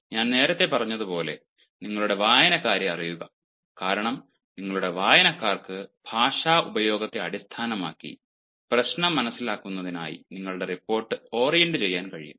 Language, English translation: Malayalam, as i have said earlier, know your readers, who are your readers, because when you know your readers, you will be able to orient your report in terms of the language use, in terms of understanding the problem